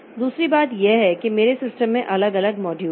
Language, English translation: Hindi, Second thing is that there are different modules in my system